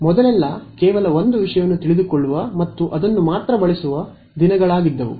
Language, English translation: Kannada, The days of just knowing one subject and using that alone